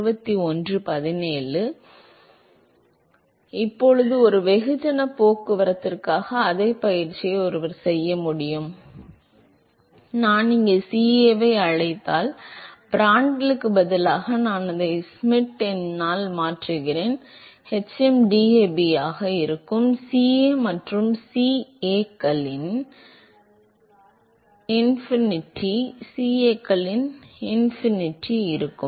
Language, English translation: Tamil, So, now, one can actually do the same exercise for mass transport, so if I call this CA, instead of Prandtl, I replace it by Schmidt number, there will be hm, DAB, there will be CA and CAs, CAinfinity